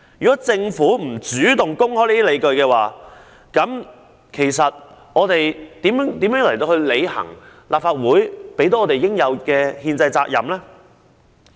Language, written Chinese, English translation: Cantonese, 如政府不主動公開相關理據，我們如何履行立法會賦予我們應有的憲制責任？, If the Government does not take the initiative to make public all the relevant justifications how can we discharge the constitutional responsibility conferred on the Legislative Council?